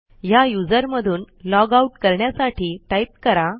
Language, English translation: Marathi, To logout from this user, type logout and hit Enter